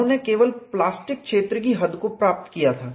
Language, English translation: Hindi, He had only got the extent of plastic zone